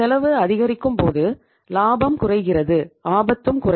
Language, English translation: Tamil, When the cost is increasing ultimately the profit will go down